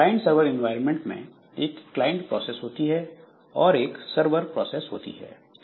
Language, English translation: Hindi, So, client server environment, so then there are client processors, client processes and there are server processes